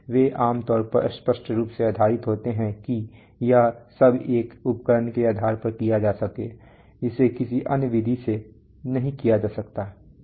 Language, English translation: Hindi, They are generally based on obviously all this can be done based specific to an equipment it cannot be done otherwise